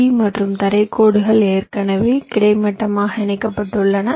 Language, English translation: Tamil, so this vdd and ground lines are already connected horizontally